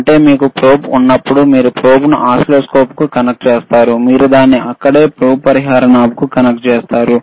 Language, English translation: Telugu, tThat means, when you have the probe, you connect the probe to the oscilloscope, you will connect it to the probe compensation knob it is right here